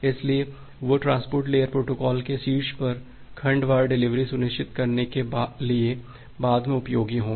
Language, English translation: Hindi, So, that would be useful later on we’ll see for ensuring segment wise delivery on top of a transport layer protocol